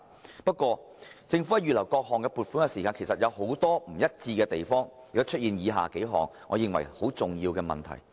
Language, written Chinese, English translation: Cantonese, 然而，政府在預留各項撥款時卻有很多不一致的地方，以致出現了以下數個我認為很重要的問題。, However in the course of earmarking provisions there have been a lot of inconsistencies on the part of the Government giving rise to the following problems which I consider pretty important